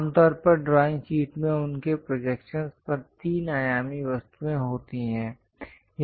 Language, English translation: Hindi, Typically drawing sheets contain the three dimensional objects on their projections